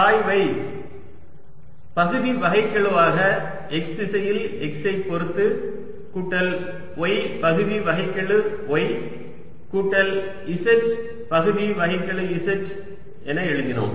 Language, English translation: Tamil, gradient we wrote as partial derivatives in the direction x with respect to x plus y, partial y plus z, partial z